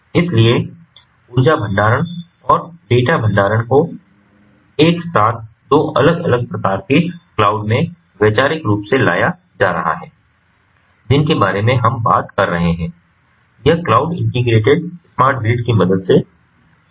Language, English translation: Hindi, so, bringing the energy storage and the data storage together two different types of in a cloud conceptually we are talking about is made possible with the help of these cloud integrated smart grids